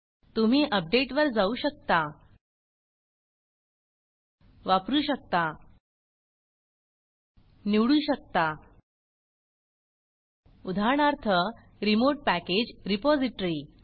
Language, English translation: Marathi, One can go to update and one can use – one can select, for example, a remote package repository